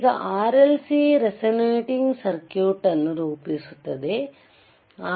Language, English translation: Kannada, Now, RLC forms a resonating circuit